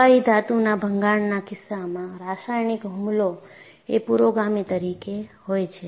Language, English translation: Gujarati, In the case of liquid metal embrittlement, a chemical attack is a precursor